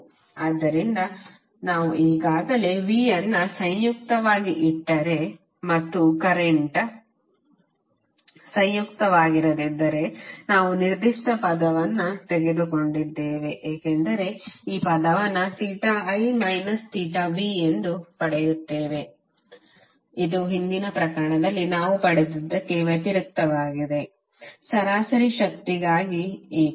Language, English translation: Kannada, So since we already have that particular quantity derived if we put V as a conjugate and not I is a conjugate we will get this term as theta I minus theta v which would be contradictory to what we derived in previous case for the average power that why we use VI conjugate not V conjugate I